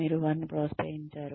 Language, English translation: Telugu, You have encouraged them